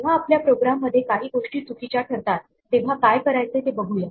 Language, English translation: Marathi, Let us see what to do when things go wrong with our programs